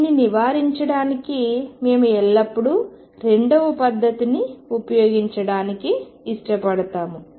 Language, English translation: Telugu, To avoid this we always prefer to use the second method